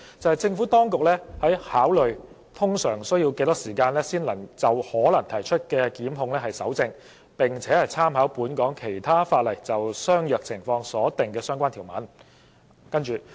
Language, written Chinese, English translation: Cantonese, 政府當局表示已考慮通常需要多少時間就可能提出的檢控蒐證，並參考本港其他法例就相若情況所訂的相關條文。, The Administration in response has taken into account the time it normally takes to collect evidence for possible prosecutions and has made reference to the relevant provisions in respect of comparable situations in other legislation in Hong Kong